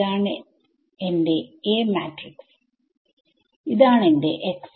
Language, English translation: Malayalam, So, this was my x when I have my A matrix over here right